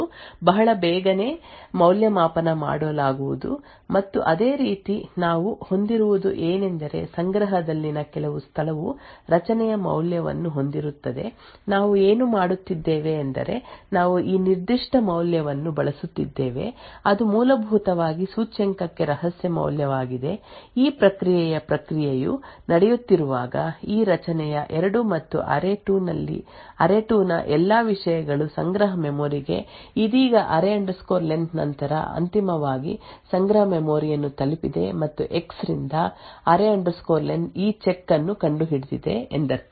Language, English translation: Kannada, On the other hand the other components are X is present in the cache and we fill the value of X with some location comprising of secret so since the secret is present in the cache the index array[x]I equal to array[x]can be very quickly evaluated pick and similarly we would what we would have is that some location in the cache would contain the value of array[x]next what we are doing is we are using this particular value which is essentially a secret value to index into of this array2 and all the contents of the array2 into the cache memory now while this process of process is going on the this to mean that array len has after while has finally reached the cache memory and now since X an array len have find the arrived this check that is pointing to this particular statement can finally be invoked but the processer would have would now observe that X is greater than array len and there for all the speculative execution that has been done should be discarded and therefore the process so would discarded this speculatively executed instructions